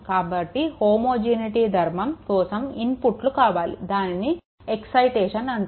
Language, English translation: Telugu, So, homogeneity property it requires that if the inputs it is called excitation